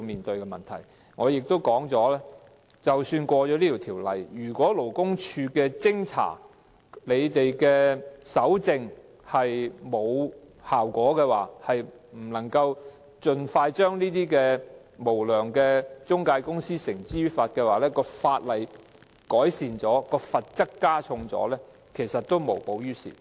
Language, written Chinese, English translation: Cantonese, 正如我先前所說，即使《條例草案》獲得通過，如果勞工處的偵查和搜證沒有效果，不能夠盡快將無良中介公司繩之於法，即使法例改善、罰則加重，其實也無補於事。, As I have said previously legislative refinement and heavier penalties after the passage of the Bill will not help improve the situation if investigation and evidence collection by the Labour Department are not effective enough to bring unscrupulous employment agencies to justice